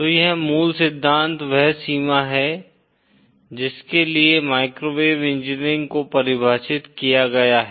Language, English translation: Hindi, So this is more or less the range for which microwave engineering is defined